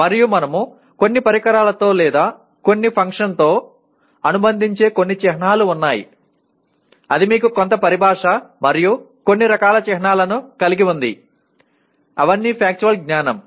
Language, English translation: Telugu, And there are some symbols that we associate with some device or some function whatever it is you have some terminology and some kind of symbols, they are all factual knowledge